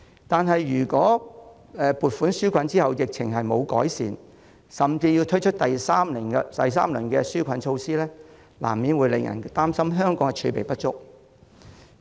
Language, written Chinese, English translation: Cantonese, 但如果在撥款紓困後疫情未有改善甚至要推出第三輪紓困措施，難免會令人擔心香港的儲備不足。, But if the epidemic shows no sign of abating despite the relief packages and a third round of relief measures is necessary people will inevitably be worried that the reserves of Hong Kong are not enough